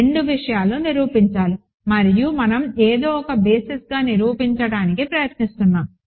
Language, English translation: Telugu, So, there are two things to prove and we are trying to prove something as a basis